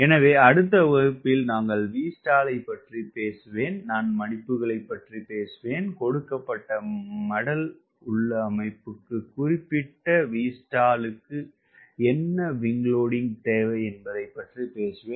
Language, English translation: Tamil, so next class we find i will talk about v stall, i will talk about flaps and talk about what is the wing loading required for particular v stall for a given flap configuration